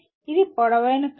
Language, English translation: Telugu, It is a tall order